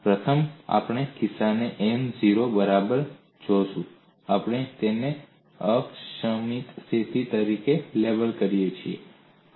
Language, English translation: Gujarati, First we saw the case n equal to 0, we label that as an axis symmetric situation